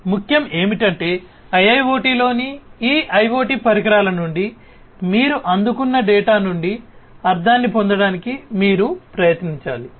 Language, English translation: Telugu, So, what is important is that you try to gain meaning out of the data that you receive from these IoT devices in IIoT, right